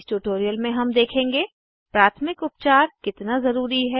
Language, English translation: Hindi, In this tutorial we will see * How important is first aid